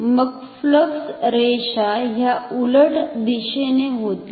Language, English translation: Marathi, Then the flux lines will become in the opposite direction